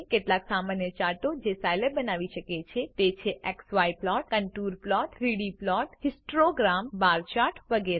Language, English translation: Gujarati, The several common charts Scilab can create are: x y plots, contour plots, 3D plots, histograms, bar charts, etc..